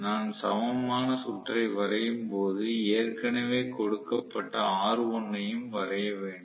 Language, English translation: Tamil, So, when I draw the equivalent circuit I should essentially draw r1 which is already given